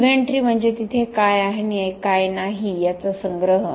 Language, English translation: Marathi, Inventory is a collection of what is there and what is not there